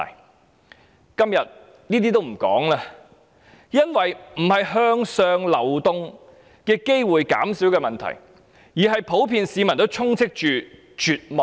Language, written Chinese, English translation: Cantonese, 我今天也不談這些，因為現時並非向上流動機會減少的問題，而是普遍市民充斥着絕望。, I am not going to discuss this today because the question is not about a decrease in opportunities for upward mobility . Rather it is the widespread feeling of despair among the general public